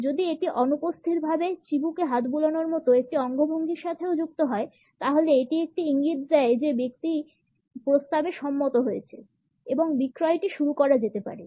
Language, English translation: Bengali, If this is also associated with a gesture of absentmindedly stroking the chin; then it is an indication that the person has agreed to the proposal and the sales can be pitched in